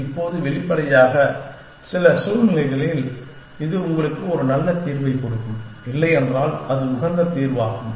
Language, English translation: Tamil, Now, obviously in some situations it will give you a very good solution, if not the optimal solution